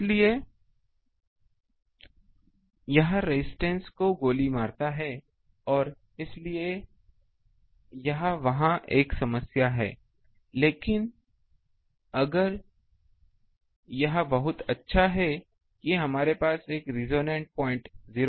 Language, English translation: Hindi, So, that makes the resistance shoots up and that is why it is a problem there, but if this is a very good one that near 0